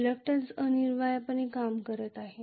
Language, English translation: Marathi, Reluctance essentially decreasing